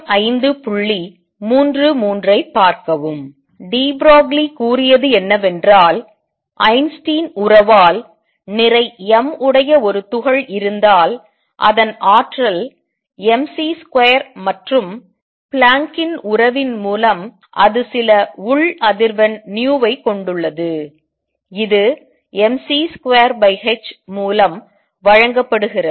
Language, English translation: Tamil, What de Broglie said is if there is a particle of mass m by Einstein relationship it has energy mc square and by Planck’s relationship it has a some internal let us write internal frequency nu which is given by mc square over h